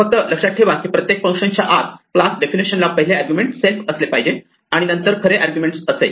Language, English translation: Marathi, Just remember that every function inside a class definition should always have the first argument as self and then the actual argument